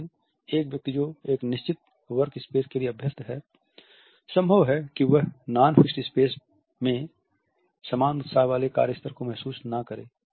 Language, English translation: Hindi, But a person who has been used to a fixed office space may not feel the same level of work enthusiasm in a non fixed space